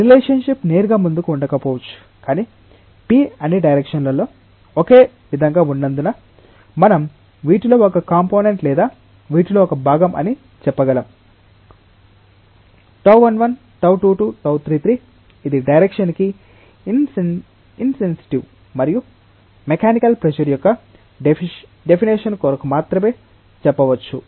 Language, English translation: Telugu, The relationship may not be straight forward, but since p is same in all directions we can say that there may be a component of or a part of these tau 1 1, tau 2 2, tau 3 3 which is like direction insensitive and that we may say just for the sake of definition of mechanical pressure